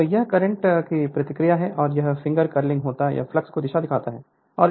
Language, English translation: Hindi, So, this is the reaction of the current and this will be the finger your curling this will be the direction of the flux right